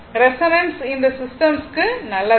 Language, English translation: Tamil, Resonance is very it is not good for this system right